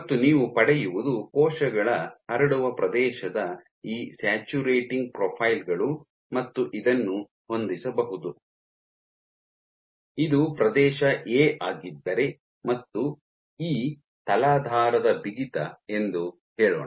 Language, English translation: Kannada, And what you will get you will get these saturating profiles of cells spread area and you can fit if this is my area A and let us say E is a substrate stiffness